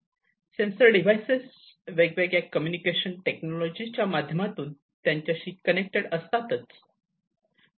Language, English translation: Marathi, These sensor devices are connected themselves, through different communication technologies